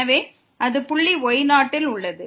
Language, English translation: Tamil, So, this will go to 0